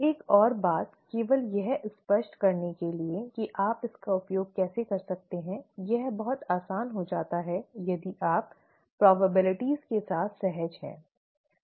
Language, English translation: Hindi, The one more thing, just to illustrate how you could use this, it becomes very easy if you are comfortable with probabilities